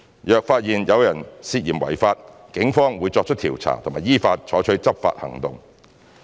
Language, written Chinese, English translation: Cantonese, 若發現有人涉嫌違法，警方會作出調查及依法採取執法行動。, If someone is found to be suspected of breaching the law the Police will investigate and take enforcement actions in accordance with law